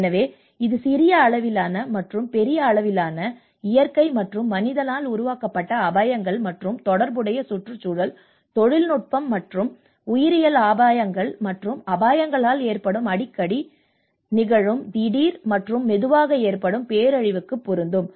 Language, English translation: Tamil, So this will apply to the risk of small scale and large scale, frequent and infrequent, sudden and slow onset disaster caused by natural and man made hazards as well as related environmental, technological and biological hazards and risks